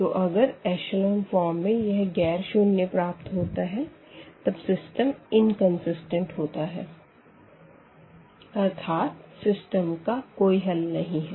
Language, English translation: Hindi, So, if in our echelon form we got these as nonzero number, then the system is inconsistent and meaning that the system has no solution